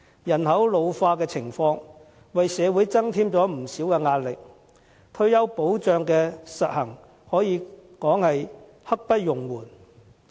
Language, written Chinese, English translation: Cantonese, 人口老化的情況為社會增添不少壓力，推行退休保障可說是刻不容緩。, As population ageing has greatly added to the pressure on society the implementation of universal retirement protection cannot afford any further delay